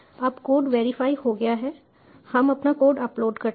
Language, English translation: Hindi, now the code has been verified, we upload our code